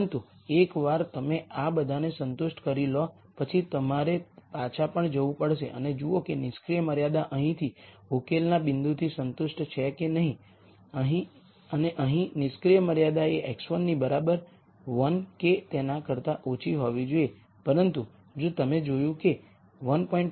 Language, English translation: Gujarati, But once you have satisfied all of this you have to still go back and look at whether the inactive constraints are satisfied by this solution point right here and the inactive constraint here is x 1 has to be less than equal to 1, but if you notice that 1